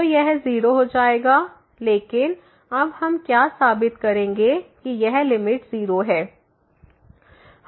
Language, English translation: Hindi, So, this will become 0, but what we will prove now that this limit is 0